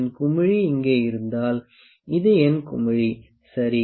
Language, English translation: Tamil, If my bubble is here, this is my bubble, ok